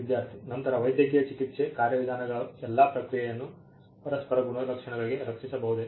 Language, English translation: Kannada, Student: Then the medical therapy is all process of procedures can be protected to mutual properties